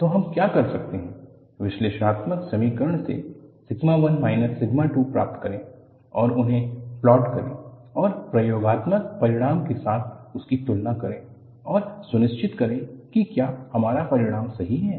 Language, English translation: Hindi, So, what we could do is, from the analytical equation, get sigma 1 minus sigma 2 and plot them and compare with the experimental result and ensure, whether our solution is correct